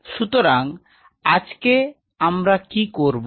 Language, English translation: Bengali, So, today what we will do